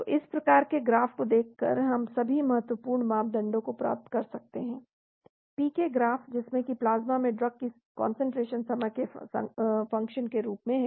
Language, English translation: Hindi, So all the important parameters we can get by looking at this type of graph, PK graph that is the concentration of the drug in the plasma as a function of time